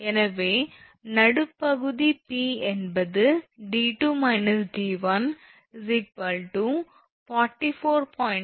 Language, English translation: Tamil, So, midpoint P is it is 44